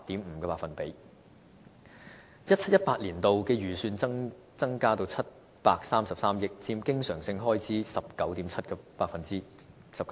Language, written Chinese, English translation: Cantonese, 2017-2018 年度的預算增加至733億元，佔經常性開支 19.7%。, The relevant estimated expenditure increased to 73.3 billion in 2017 - 2018 accounting for 19.7 % of recurrent expenditure